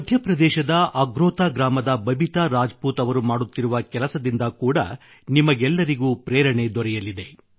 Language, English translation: Kannada, The endeavour of Babita Rajput ji of village Agrotha in Madhya Pradesh will inspire all of you